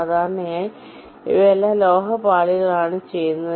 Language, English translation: Malayalam, typically these are all done on metal layers